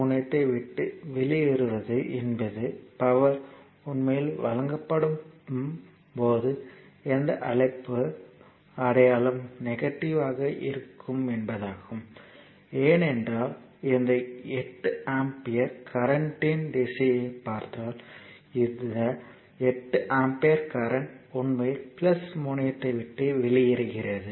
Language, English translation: Tamil, Leaving the plus terminal means it is where your what you call sign will be negative when power supplied actually right, because this 8 ampere if you look at the direction of the current this 8 ampere current actually leaving the plus terminal